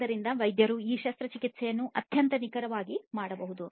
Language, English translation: Kannada, So, the doctors can perform this surgery very precisely accurately